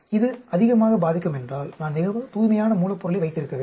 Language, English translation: Tamil, If it affects too much, then I need to have a very pure raw material